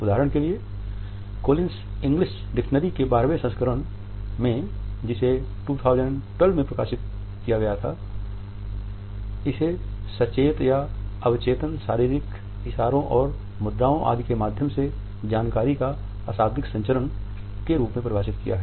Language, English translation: Hindi, The Twelfth Edition of Collins English Dictionary, which was published in 2012 has defined it as the “nonverbal imparting of information by means of conscious or subconscious bodily gestures and postures etc”